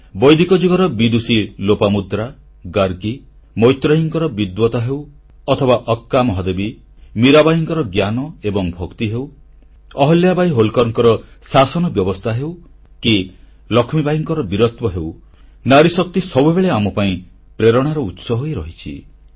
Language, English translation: Odia, Lopamudra, Gargi, Maitreyee; be it the learning & devotion of Akka Mahadevi or Meerabai, be it the governance of Ahilyabai Holkar or the valour of Rani Lakshmibai, woman power has always inspired us